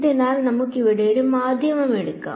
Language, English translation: Malayalam, So, let us take a medium over here